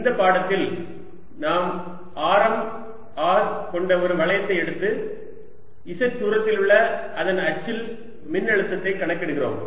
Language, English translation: Tamil, in this lecture we take a ring of radius r and calculate the potential on its axis at a distance, z